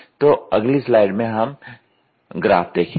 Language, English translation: Hindi, So, we will see the figure in the next slide